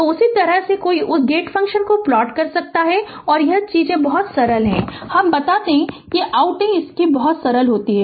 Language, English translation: Hindi, So, this is how one can plot your what you call that your gate function and this is the things are very simple let me tell you things are very simple